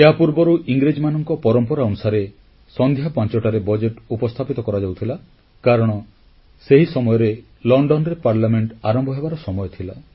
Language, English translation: Odia, Earlier, as was the British tradition, the Budget used to be presented at 5 pm because in London, Parliament used to start working at that time